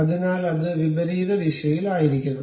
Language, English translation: Malayalam, So, it should be in the reverse direction, reverse direction